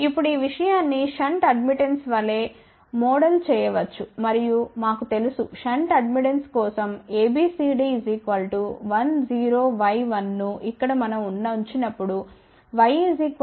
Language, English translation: Telugu, Now, this thing can be modeled as shunt admittance and we know that for shunt admittance ABCD parameters are given by 1 0 Y 1, where we can now represent a Y as G plus j B